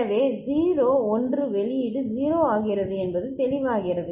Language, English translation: Tamil, So, 0 1 output becomes 0 is it clear